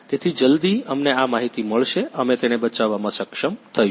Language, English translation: Gujarati, So, as soon as we get this information, we will be able to rescue him